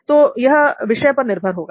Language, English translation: Hindi, It depends on your subject interest